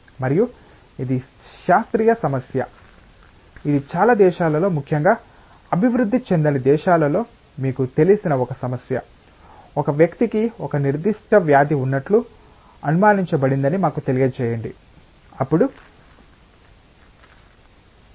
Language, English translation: Telugu, And this is a classical problem it is a problem relevant in many countries, especially in the underdeveloped countries that you know that let us say that a person is suspected to have a certain disease